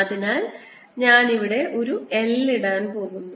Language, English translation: Malayalam, so i am going to put an l out here